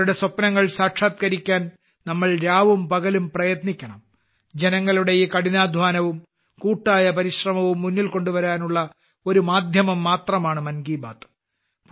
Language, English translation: Malayalam, We have to work day and night to make their dreams come true and 'Mann Ki Baat' is just the medium to bring this hard work and collective efforts of the countrymen to the fore